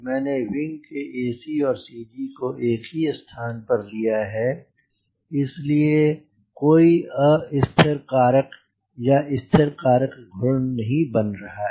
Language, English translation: Hindi, i have put ac of the wing and the cg of the aircraft at same point, so this wing lift will not create any either a destabilizing or a stabilizing moment